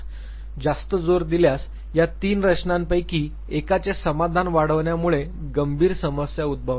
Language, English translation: Marathi, Over emphasis, over gratification of one of these three structures is going to cause severe problem